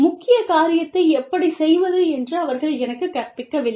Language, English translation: Tamil, They are not teaching me, how to do the main thing